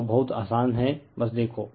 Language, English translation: Hindi, So, now, very easy it is just see